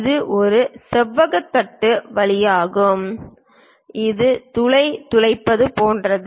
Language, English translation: Tamil, It is more like drilling a hole through rectangular plate